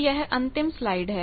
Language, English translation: Hindi, So, this is the last slide